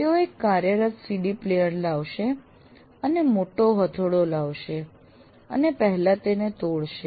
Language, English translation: Gujarati, He would bring a working CD player and bring a large sledge hammer and break it